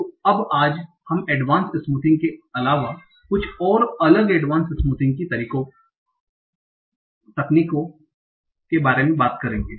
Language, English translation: Hindi, So now today we will talk, we will go beyond the advanced smoothing and talk about some other advanced smoothing methods